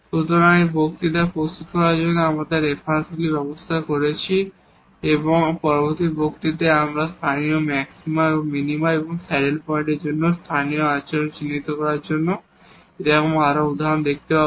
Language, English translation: Bengali, So, these are the references we have used to prepare these lectures and in the next lecture now we will see more such examples to identify the local the behavior for the local maxima minima and the saddle point